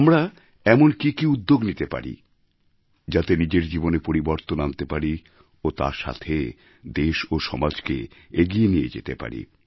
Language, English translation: Bengali, What exactly should we do in order to ensure a change in our lives, simultaneously contributing our bit in taking our country & society forward